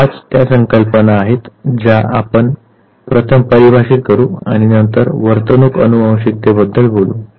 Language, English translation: Marathi, These are the five terminologies that we will first define and then we will talk again about the behavioral genetics